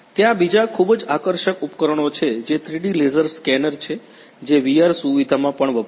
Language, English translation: Gujarati, There is very another very exciting equipment which is the 3D laser scanner which is also used in VR facility